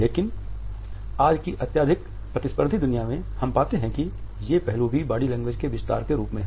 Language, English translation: Hindi, But in today’s highly competitive world we find that these aspects are also an extension of what we know in understand as body language